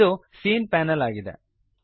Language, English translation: Kannada, This is the scene panel